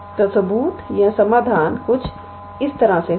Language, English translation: Hindi, So, the proof or the solution would go like this